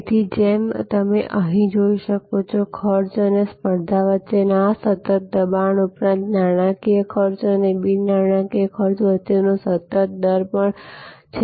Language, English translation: Gujarati, So, as you can see here, besides this constant pressure between cost and competition, there is also a constant rate of between monitory costs and non monitory costs